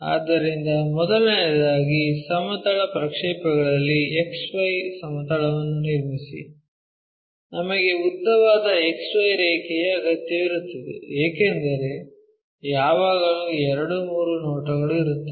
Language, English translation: Kannada, So, first of all draw a X Y plane in projection of planes, we really require a longer X Y line, because there always be 2 3 views